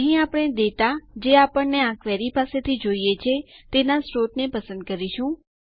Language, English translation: Gujarati, This is where we will select the source of the data that we need from this query